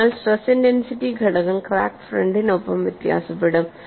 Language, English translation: Malayalam, So, the stress intensity factor would vary along the crack field